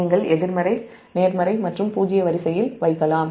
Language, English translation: Tamil, this is positive, negative and zero sequence component